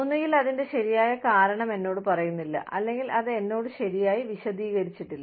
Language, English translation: Malayalam, Either, i am not being told the right reason for it, or it has not been explained to me properly